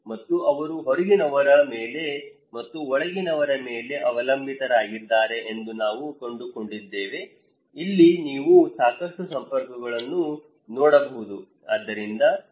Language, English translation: Kannada, And we also found that they are depending on outsiders and also insiders okay, like here you can see a lot of networks, a lot of there